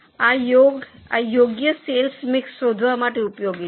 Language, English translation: Gujarati, Now this is useful for finding suitable sales mix